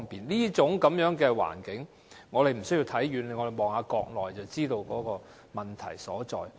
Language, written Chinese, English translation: Cantonese, 這種環境，我們無須看遠處，只要看看國內便知道問題所在。, We do not need to look afar in order to know how the situation was like at that time as we can see the problem readily when we look at the Mainland